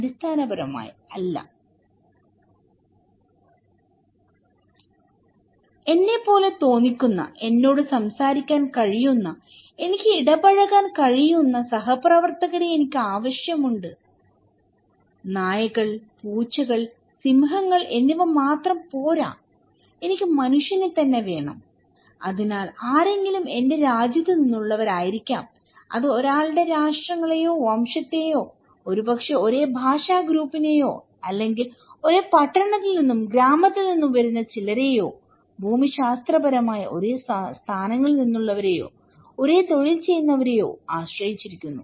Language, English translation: Malayalam, I need fellow members who look like me, who can talk to me and with whom I can interact with so, this other fellow, not only dogs, cats, lions but I want the human being right, so it could be that someone is from my own country, it depends on someone's nations, race or maybe same linguistic group or maybe some coming from the same town and village, geographical locations or same occupations